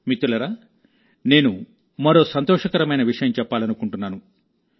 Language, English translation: Telugu, Friends, I want to share with you another thing of joy